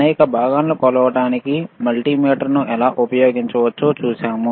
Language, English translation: Telugu, We have seen how we can use a multimeter to measure several components